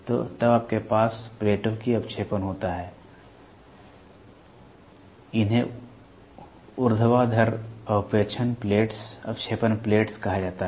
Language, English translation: Hindi, So, then you have deflecting plates, these are called as vertical deflecting plates